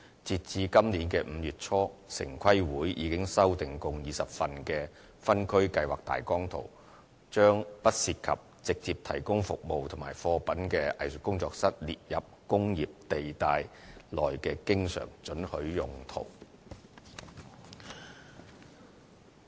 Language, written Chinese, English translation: Cantonese, 截至今年5月初，城市規劃委員會已修訂共20份的分區計劃大綱圖，把不涉及直接提供服務或貨品的"藝術工作室"列為工業地帶內的經常准許用途。, As at early May this year a total of 20 Outline Zoning Plans have been amended by the Town Planning Board to include Art Studio not involving direct provision of services or goods as uses always permitted in industrial buildings